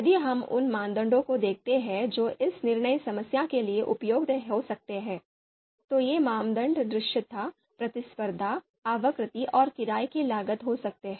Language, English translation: Hindi, So if we look at the you know criteria that could be useful for this decision problems, these criteria could be visibility, competition, frequency and rental cost